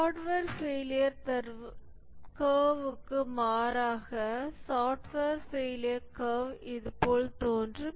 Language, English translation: Tamil, In contrast to a hardware failure curve, the software failure curve appears like this